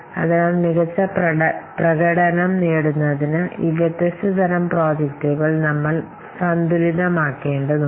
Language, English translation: Malayalam, So, we have to do a balance between these different kinds of projects